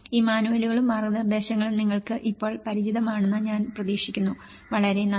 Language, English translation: Malayalam, I hope you are familiar with these manuals now and the guidance, thank you very much